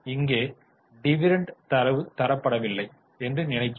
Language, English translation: Tamil, So, we don't know dividend data, so we don't know this